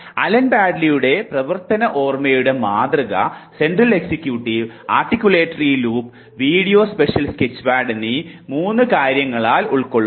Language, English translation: Malayalam, Allen baddeleys model of working memory comprises of 3 things, Central executive, Articulatory loop and Visuo spatial sketchpad